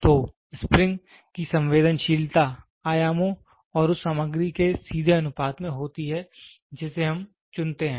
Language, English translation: Hindi, So, the sensitivity of the spring is directly proportion to the dimensions and the material in which we choose